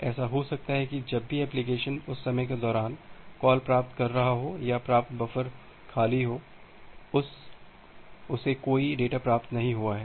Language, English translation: Hindi, It may happen that whenever the application is making a receive call during that time, this received buffer is empty it has not received any data